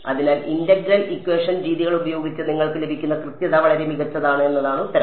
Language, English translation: Malayalam, So, the answer is that the accuracy that you get with integral equation methods is much better